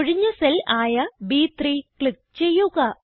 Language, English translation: Malayalam, Now, click on the empty cell B3